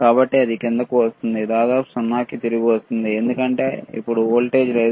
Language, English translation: Telugu, So, it is coming down, right; comes back to almost 0, because now there is no voltage